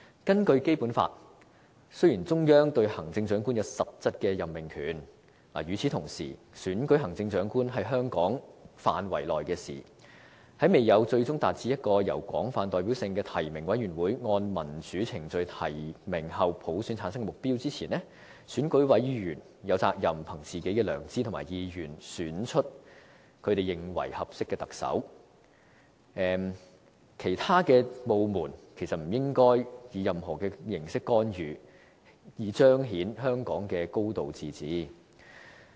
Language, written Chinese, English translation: Cantonese, 根據《基本法》，雖然中央對行政長官有實質任命權，但與此同時，選舉行政長官是香港自治範圍內的事，在未有"最終達至由一個有廣泛代表性的提名委員會按民主程序提名後普選產生的目標"前，選委有責任憑自己的良知和意願，選出他們認為合適的特首，其他部門不應以任何形式干預，以彰顯香港的"高度自治"。, Although the Central Authorities have substantive power to appoint the Chief Executive according to the Basic Law election of the Chief Executive is within the limits of the autonomy of Hong Kong . The Basic Law provides that [t]he ultimate aim is the selection of the Chief Executive by universal suffrage upon nomination by a broadly representative nominating committee in accordance with democratic procedures and before this aim is achieved EC members are responsible to choose according to their conscience and preferences a suitable candidate as the Chief Executive . No authorities should interfere in any way so as to undermine a high degree of autonomy in Hong Kong